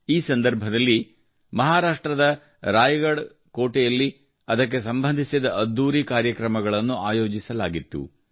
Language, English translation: Kannada, During this, grand programs related to it were organized in Raigad Fort in Maharashtra